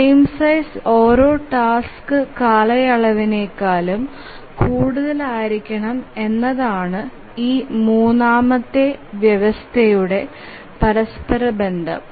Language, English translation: Malayalam, A corollary of this third condition is that the frame size has to be greater than every task period